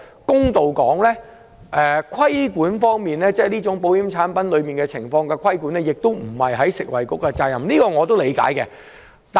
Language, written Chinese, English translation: Cantonese, 公道點說，規管這種保險產品並不是食物及衞生局的責任，這點我是理解的。, To be fair it is not the responsibility of the Food and Health Bureau to regulate insurance products and I understand that